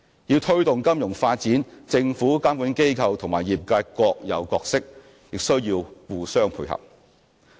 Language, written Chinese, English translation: Cantonese, 要推動金融發展，政府、監管機構和業界各有角色，需要互相配合。, In order to promote financial development the Government regulatory bodies and the sector itself have to play their respective roles and complement each other